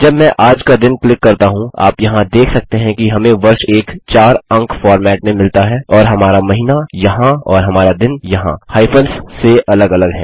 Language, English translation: Hindi, When I click today, you can see here that we have got the year in a 4 digit format and our month here and our day here, separated by hyphens